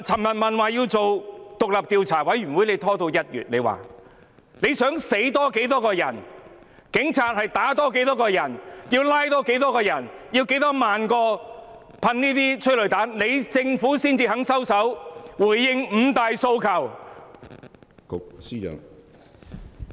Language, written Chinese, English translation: Cantonese, 我想問司長，要多少人死亡、多少人被警察打、多少人被拘捕、施放多少萬枚催淚彈後，政府才肯收手，回應"五大訴求"？, May I ask the Chief Secretary how many people have to die how many have to be beaten up by the Police how many have to be arrested how many multiples of 10 000 rounds of tear gas have to be fired before the Government is willing to stop and respond to the five demands?